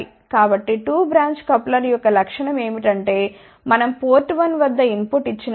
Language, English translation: Telugu, So, the property of the 2 branch coupler is that when we give a input at port 1